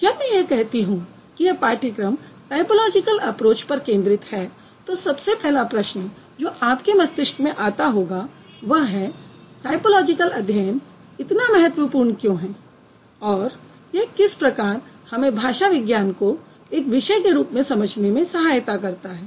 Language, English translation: Hindi, When I say this course focuses on typological approach, the very first question that comes to your mind is why typological study is important and how it's going to be significant to understand linguistics as a discipline